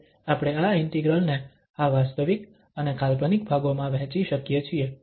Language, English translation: Gujarati, Now we can split this integral into this real and imaginary parts